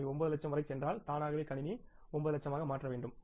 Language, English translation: Tamil, If they go up to 9 lakhs automatically the system should means convert that into the 9 lakhs